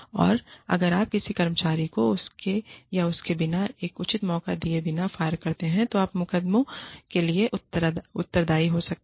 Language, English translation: Hindi, And, if you fire an employee, without giving her or him a proper chance, you could be liable for law suits